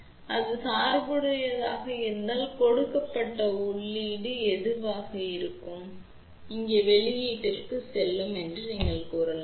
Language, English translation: Tamil, So, when switch is on forward biased over here, you can say that if it is forward bias whatever is the input given it will go to the output here